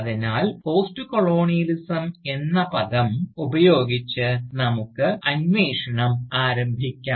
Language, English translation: Malayalam, So, let us start our enquiry, with the term, Postcolonialism itself